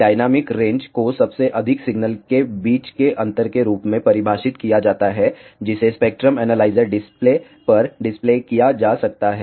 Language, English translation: Hindi, Dynamic range is defined as the difference between the highest signal that can be displayed on to the spectrum analyzer display